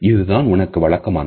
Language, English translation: Tamil, This is what you are used to